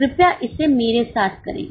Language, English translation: Hindi, Please do it with me